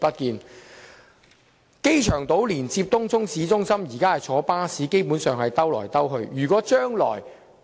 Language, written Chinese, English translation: Cantonese, 現時往來機場島和東涌市中心的巴士基本上是"兜來兜去"。, Currently buses between the two places are basically going around in circles